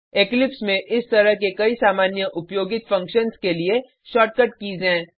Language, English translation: Hindi, Eclipse has shortcut keys for many such commonly used functions